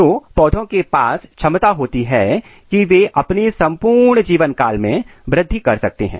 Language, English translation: Hindi, So, plant has capability they can grow throughout their life this is very important